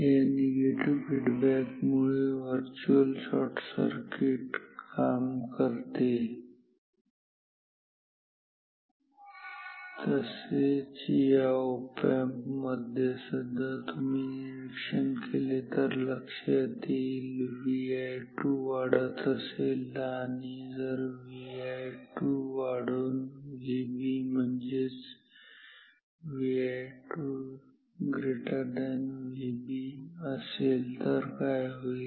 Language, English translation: Marathi, So, virtual shorting works this is because of this negative feedback similarly in this op amp also you do the analysis yourself say if V i 2 increases; if V i 2 increases and if it goes above V B and V i 2 becomes greater than V B, then what will happen